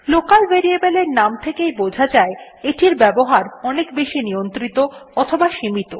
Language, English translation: Bengali, Local Variables , which as the name suggests have a more restricted or limited availability